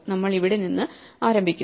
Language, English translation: Malayalam, So, we start from here